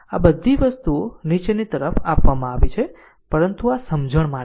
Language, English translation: Gujarati, Every all these things are given downwards, but this is for your understanding